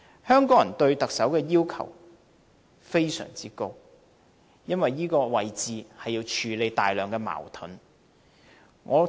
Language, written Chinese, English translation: Cantonese, 香港人對特首要求非常高，因為這個位置要處理大量矛盾。, Hong Kong people are extremely strict with the Chief Executive as the one taking up the post has the obligation to handle a whole lot of contradictions